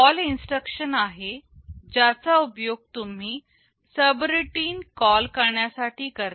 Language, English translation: Marathi, There is a CALL instruction that you use to call a subroutine